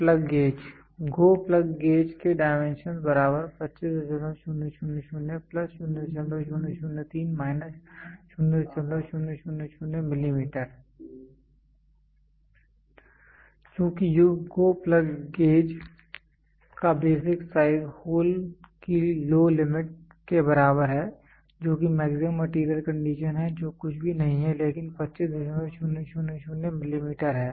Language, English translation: Hindi, Since basic size of GO plug gauge plug gauge is equal to low limit of hole, which is maximum material condition which is nothing, but 25